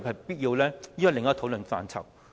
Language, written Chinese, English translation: Cantonese, 這是另一個討論範疇。, That is another topic for discussion